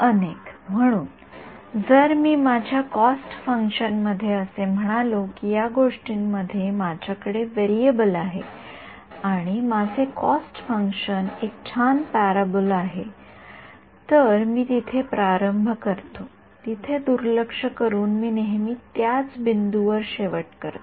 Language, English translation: Marathi, Multiple right; so, if I if my cost function let us say I have a variable in one this thing and if my cost function was a nice parabola, regardless of where I start I always end up with the same point